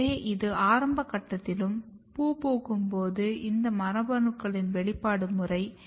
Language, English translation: Tamil, So, this is just expression pattern of these genes at early stage and when there is a flowering